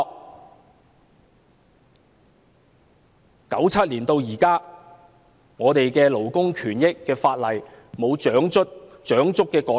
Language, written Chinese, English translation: Cantonese, 正因如此，由1997年至今，我們的勞工權益法例沒有長足的改善。, That explains why our legislation on labour rights and interests has not been greatly improved since 1997